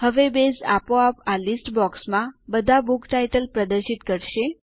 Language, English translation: Gujarati, Now Base will automatically display all the Book titles in this List box